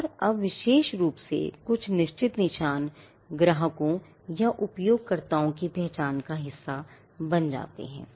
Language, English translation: Hindi, And now especially for certain marks becoming a part of the customers or the user’s identity itself